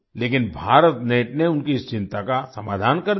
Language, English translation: Hindi, But, BharatNet resolved her concern